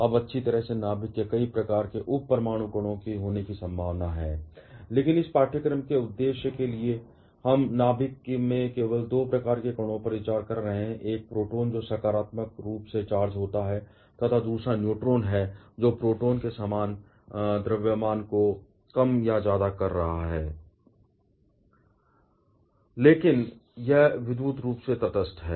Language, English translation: Hindi, Now the, well there are possibility of having several kinds of sub atomic particles at the nucleus, but for the purpose of this course we are considering only two kinds of particles in the nucleus, one is the proton which is positively charged and other is neutron which is having more or less the similar mass of proton, but it is electrically neutral